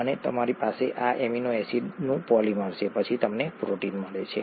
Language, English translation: Gujarati, And you have polymer of these amino acids, then you get a protein